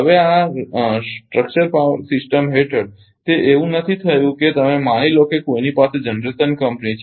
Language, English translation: Gujarati, Now, under the this structure system it is not like that in in that case suppose you have suppose someone may have generation company